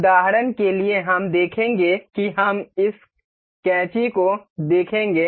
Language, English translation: Hindi, For example, we will see let us see this scissor